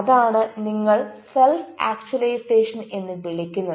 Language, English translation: Malayalam, that is what you call self actualization